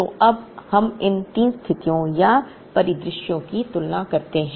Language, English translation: Hindi, So, now let us compare three situations or scenarios